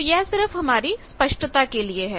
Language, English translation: Hindi, So, this is just a clarification